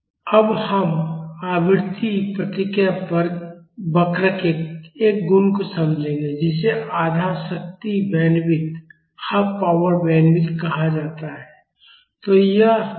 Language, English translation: Hindi, Now, we will understand a property of the frequency response curve called half power bandwidth